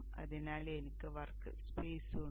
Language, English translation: Malayalam, So I have the workspace